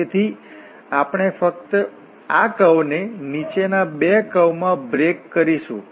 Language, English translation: Gujarati, So, and then we just we break this curve into the following 2 curves